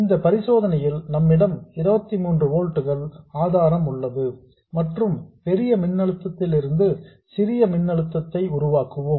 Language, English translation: Tamil, In this case, we have a 23 volt And the smaller of the voltages we will generate that one from the larger voltage